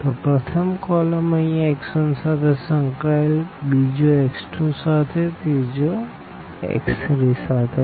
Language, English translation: Gujarati, So, this first column is associated with x 1 here, this is with x 2, this is with x 3